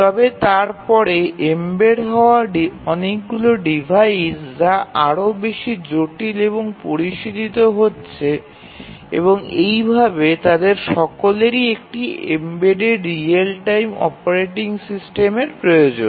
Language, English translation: Bengali, But then many of the embedded devices are getting more and more complex and sophisticated and all of them they need a embedded real time operating system